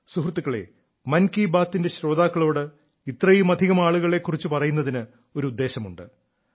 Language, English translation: Malayalam, the purpose of talking about so many people to the listeners of 'Mann Ki Baat' is that we all should get motivated by them